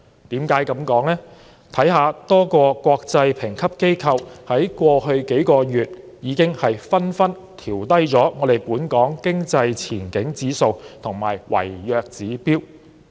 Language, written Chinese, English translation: Cantonese, 多個國際評級機構在過去數月已紛紛調低本港的經濟前景指數和違約指標。, Several international rating agencies have lowered Hong Kongs economic outlook index and default rating